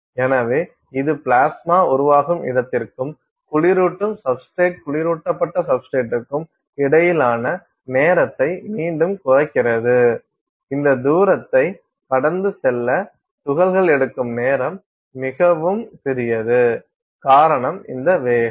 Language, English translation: Tamil, So, that again shortens the time between where the plasma is formed and that cooling substrate the cooled substrate, the time taken for particles to traverse this distance is extremely tiny because, of this high velocity